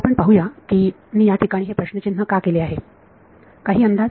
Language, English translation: Marathi, Let us why I have put a question mark over here any guesses